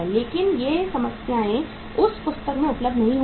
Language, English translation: Hindi, But these problems will not be available in that book